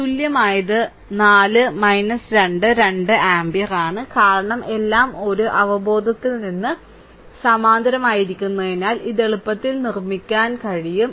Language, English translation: Malayalam, And equivalent is 4 minus 2, 2 ampere because all are in parallel from an intuition you can easily make it